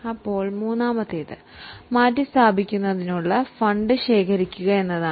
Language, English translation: Malayalam, Now, the third one is to accumulate the funds for replacement